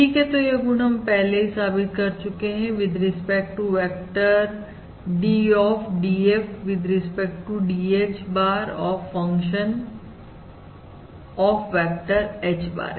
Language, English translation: Hindi, All right, so this is the property that we have proved with respect to the vector derivative d, dF, with respect to dH bar, of the function F of a vector H bar